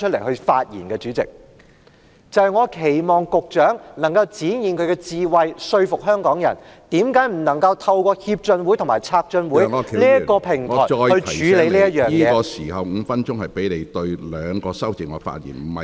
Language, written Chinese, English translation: Cantonese, 我期望局長可以展現他的智慧，說服香港人為何政府不能夠透過港台經濟文化合作協進會和台港經濟文化合作策進會處理這宗案件......, I hope that the Secretary will demonstrate his wisdom to convince the people of Hong Kong why the Government cannot deal with the case through the Hong Kong - Taiwan Economic and Cultural Co - operation and Promotion Council and the Taiwan - Hong Kong Economic and Cultural Co - operation Council